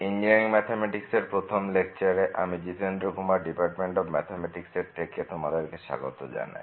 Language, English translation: Bengali, Welcome to the first lecture on Engineering Mathematics, I am Jitendra Kumar from the Department of Mathematics